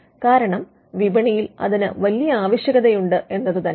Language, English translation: Malayalam, Because there is a great demand in the market